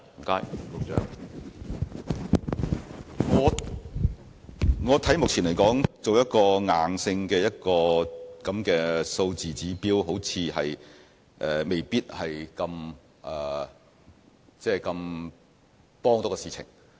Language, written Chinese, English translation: Cantonese, 目前來說，我認為設定一個硬性數字指標，對事情未必有很大幫助。, At present I think it may not be particularly helpful to set a specific figure as the mandatory target